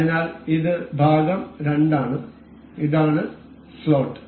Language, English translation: Malayalam, So, the part this is part 2, this is slot